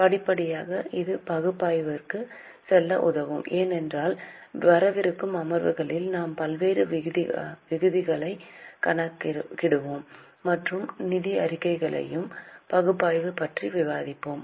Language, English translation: Tamil, Gradually this will help us to move to analysis because in coming sessions we will calculate various ratios and discuss about analysis of financial statements